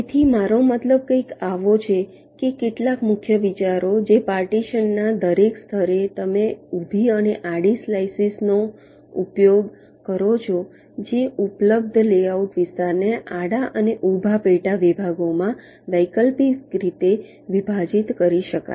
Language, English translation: Gujarati, ok, so some of the salient ideas is that at every level of partitioning so you use vertical and horizontal slices so that the available layout area is partitioned into horizontal and vertical subsections alternately